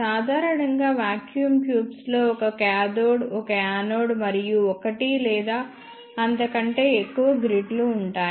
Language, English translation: Telugu, Generally speaking vacuum tubes contains one cathode, one anode and one or more than one grids